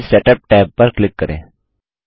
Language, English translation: Hindi, Click the Page Setup tab